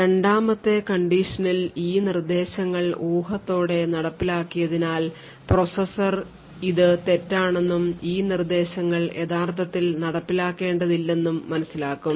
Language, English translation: Malayalam, So, in this condition 2 since these instructions following have been speculatively executed the processor would realize that in fact this speculation was wrong and these instructions were actually not to be executed